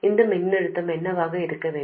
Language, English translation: Tamil, What should this voltage be